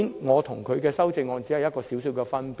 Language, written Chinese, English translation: Cantonese, 我和他的修正案只有些微分別。, Nonetheless our amendments do have slight differences